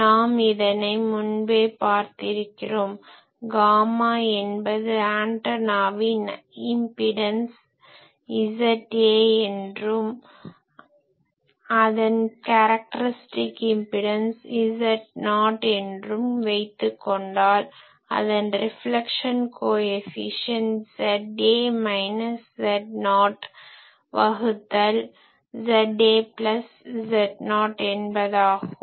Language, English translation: Tamil, Now this gamma, this gamma is well known that if from these antennas int suppose the antenna is giving an impedance Z A and the characteristic impedance of this transmission line is Z not then we know that the reflection coefficient gamma will be Z A minus Z not by Z A plus Z not